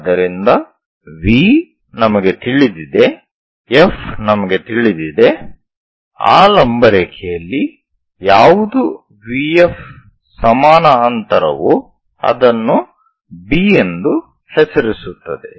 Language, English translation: Kannada, So, V we know F we know on that perpendicular line what is this distance V F equal distance move it name it as B